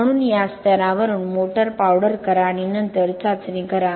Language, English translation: Marathi, So motor powder from this level and then do the test